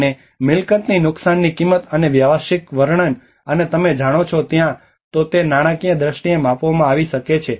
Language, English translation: Gujarati, And the cost of damage to the property and the business description and you know either it may be quantified in financial terms